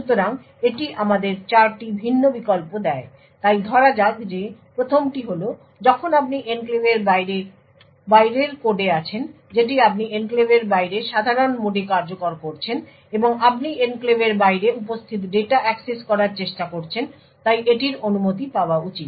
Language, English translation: Bengali, So this leaves us four different alternatives so let us say the first is when you are in the code outside the enclave that is you are executing in normal mode outside the enclave and you are trying to access the data present outside the enclave, so this should be permitted